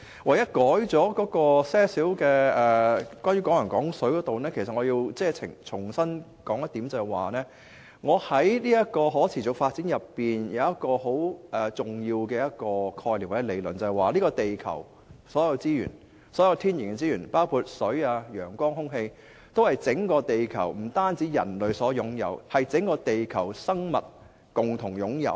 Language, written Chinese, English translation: Cantonese, 我只在"港人港水"方面作出了少許更改，其實我要重申，就是我在可持續發展內有一個很重要的概念或理論，就是這個地球的所有天然資源，包括水、陽光和空氣，都是不單是人類所擁有，而是整個地球的生物共同擁有。, I have only made minor amendments to the part on Hong Kong people using Hong Kong water . In fact I wish to reiterate that there is a very important concept or principle behind sustainable development that is all natural resources on earth including water sunlight and air are not owned by mankind alone . They are shared among all living creatures on earth